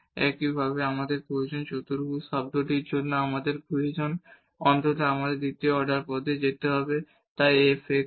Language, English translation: Bengali, Similarly, we need because for the quadratic term we need at least we need to go to the second order term so f xx